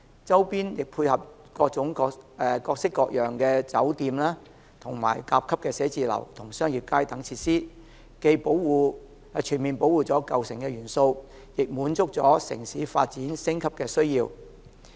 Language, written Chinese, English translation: Cantonese, 周邊亦配合各式各樣的酒店、甲級寫字樓和商業街等設施，既全面保護了舊城元素，亦滿足了城市發展升級的需要。, Hotels Grade A office buildings and retail streets are located at the periphery to facilitate the need of city development and enhancement while preserving the old look of the city . The difficulty in redeveloping an old city is that most of the historic buildings are in a dilapidated state